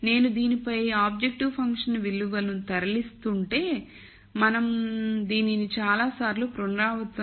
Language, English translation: Telugu, So, if I am moving on this the objective function value the same we have repeated this several times